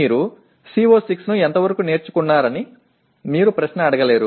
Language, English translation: Telugu, You cannot ask a question to what extent have you learnt CO6